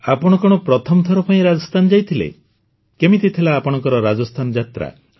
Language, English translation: Odia, Did you go toRajasthan for the first time